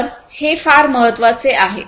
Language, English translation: Marathi, So, these are very important